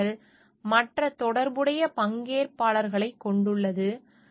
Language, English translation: Tamil, And it is these environment consist of other related stakeholders